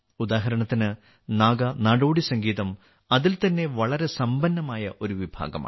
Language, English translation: Malayalam, For example, Naga folk music is a very rich genre in itself